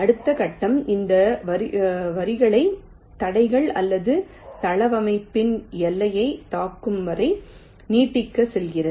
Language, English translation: Tamil, ok, the next step says to extend this lines till the hit obstructions or the boundary of the layout